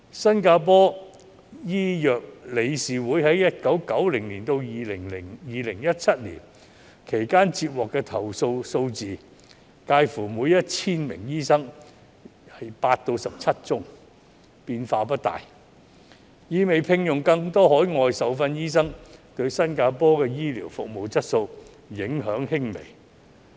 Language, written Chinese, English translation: Cantonese, 新加坡醫藥理事會在1990年至2017年期間接獲的投訴數字，介乎每 1,000 名醫生8宗至17宗，變化不大，意味聘用更多海外受訓醫生對新加坡的醫療服務質素影響輕微。, From 1990 to 2017 the Singapore Medical Council received 8 to 17 complaints per 1 000 doctors . The figure remained stable indicating that employing more overseas - trained doctors had minimal impact on the quality of healthcare services in Singapore